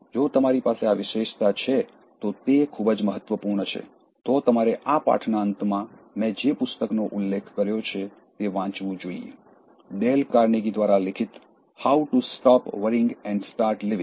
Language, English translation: Gujarati, It is very important if you have this trait, you should read the book that I have mentioned at the end of this lesson: How to Stop Worrying and Start Living by Dale Carnegie, it is a must read book